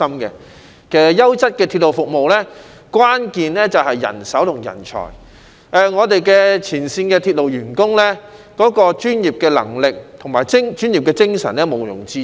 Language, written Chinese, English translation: Cantonese, 其實，優質鐵路服務的關鍵便是人手和人才，我們前線鐵路員工的專業能力和精神是毋庸置疑的。, In fact the key to quality railway services lies in manpower and talents . The professionalism and spirit of our frontline railway staff are beyond doubt